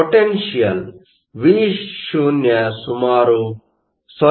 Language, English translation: Kannada, The potential Vo is around 0